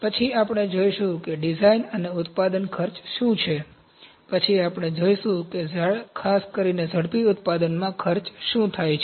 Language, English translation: Gujarati, Then we will see what are design and manufacturing costs, then we will see what are the cost in specifically rapid manufacturing